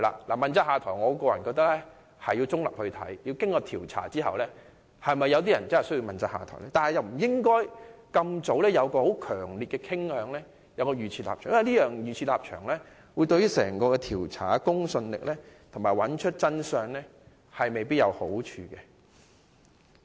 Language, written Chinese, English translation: Cantonese, 我個人認為，應該先作調查，才考慮是否有人需要問責下台，而不應該在調查之前已有強烈的傾向及預設立場，因為預設立場對於調查的公信力及查明真相未必有好處。, We should not have a strong inclination or a predetermined position before the completion of the inquiry because having a predetermined position may undermine the credibility of the inquiry and the search for truth